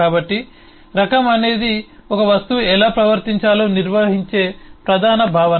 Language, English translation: Telugu, so type is the core concept which defines how should an object behave